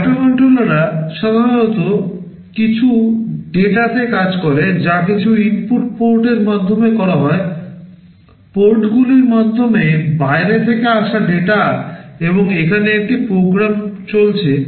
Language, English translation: Bengali, Microcontrollers typically operate on data that are fed through some input ports; data coming from outside through the ports, and there is a program which is running